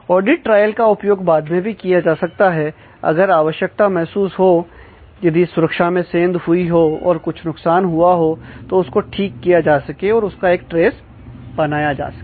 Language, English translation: Hindi, So, audit trails can be used later on if the need arises to detect, if some security breach that happen, or if some damage has been caused by the security breach, that can be corrected and so on create a trace